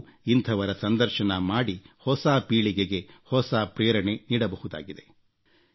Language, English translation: Kannada, They too, can interview such people, and inspire the young generation